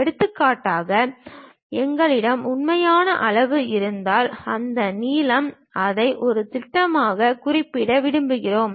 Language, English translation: Tamil, For example, if we have a real scale, that length we want to represent it as a projection